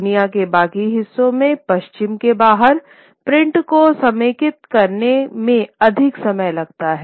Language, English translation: Hindi, In the rest of the world, print outside that of the West, print takes longer time to consolidate